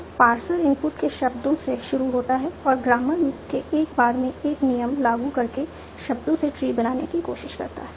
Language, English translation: Hindi, So the parser starts with the words of the input and tries to build trees from the words up by applying rules from the grammar